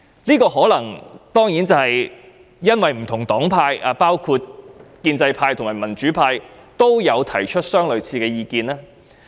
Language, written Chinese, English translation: Cantonese, 這可能是由於不同黨派，包括建制派和民主派均提出了類似意見。, This is probably because different political parties including the pro - establishment and pro - democracy camps have expressed similar views